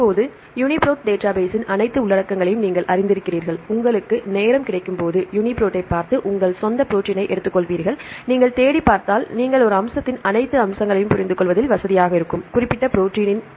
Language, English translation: Tamil, Now, you are familiar with the all the contents of UniProt database right when you have time you will look into the UniProt and take your own protein and if you search and if you read, then you will be comfortable with understanding all the aspects of a particular protein